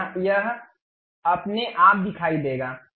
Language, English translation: Hindi, Then it will automatically show